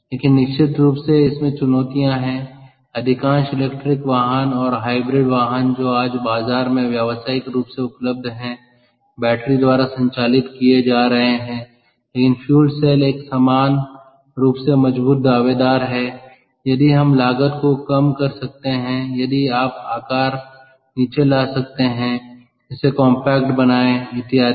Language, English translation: Hindi, so most of the electric vehicles and hybrid vehicles that are available today in the market commercially is being driven by batteries, ok, but fuel cell is an equally strong contender if we can bring the cost down, if you can bring the size down, make it compact, and so on